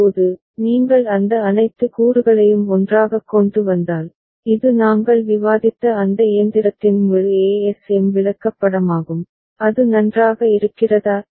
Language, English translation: Tamil, Now, if you bring all those components together so, this is the full ASM chart of that machine that we have just discussed, is it fine